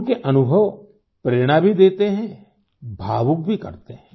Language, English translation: Hindi, Her experiences inspire us, make us emotional too